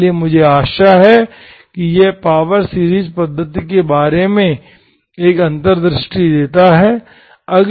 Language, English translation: Hindi, So this will give, I hope this gives an insight about the power series method